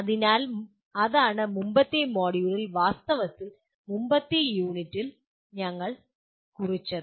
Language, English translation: Malayalam, So that is what we noted in the previous module, previous unit in fact